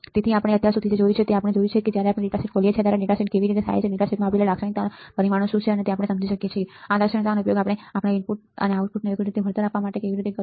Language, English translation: Gujarati, So, what we have seen until now, we have we have seen how the datasheet when we open the datasheet what are the parameters of characteristics given in the data sheet and can we understand how to use these characteristics for our for compensating our output right, for getting our output to be 0 or to make the output null right